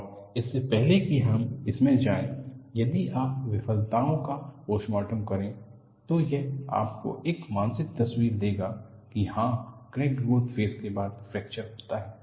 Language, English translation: Hindi, And before we go into that, if you see postmortem of failures, that would give you a mental picture, yes, there is a growth phase of crack, followed by fracture